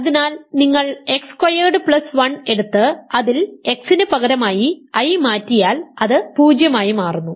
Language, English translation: Malayalam, So, if you take x squared plus 1 and substitute x equal to i it become 0